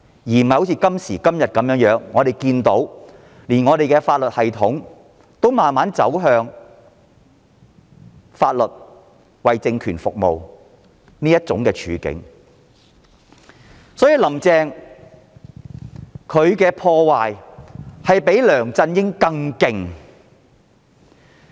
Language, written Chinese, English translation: Cantonese, 時至今日，連法律系統也逐漸走向為政權服務的境況，"林鄭"對香港的破壞比梁振英更甚。, Today even the legal system is gradually becoming subservient to the political regime . Carrie LAM has done even more damage to Hong Kong than LEUNG Chun - ying